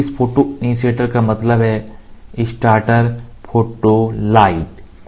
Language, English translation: Hindi, So, this photo initiator means starter photo light